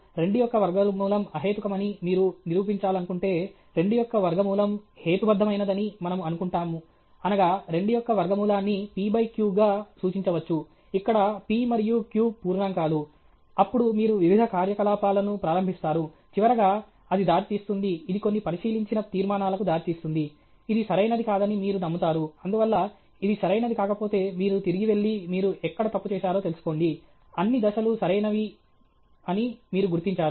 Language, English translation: Telugu, If you want to prove that root 2 is irrational, we assume that root 2 is rational, that is root 2 can be represented as p by q okay, where p and q are integers; then you start working various operation; finally, it will lead, it will lead to some observed conclusions, which you believe is not correct; therefore, if this is not correct, you go back and find out where you make the mistake; you figure out all the steps are correct